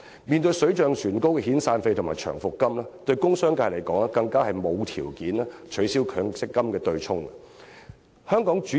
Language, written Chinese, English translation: Cantonese, 面對水漲船高的遣散費和長期服務金，工商界更是沒有條件取消強積金對沖機制。, In the face of the ever increasing severance and long service payments the industrial and commercial sectors can hardly afford to abolish the MPF offsetting mechanism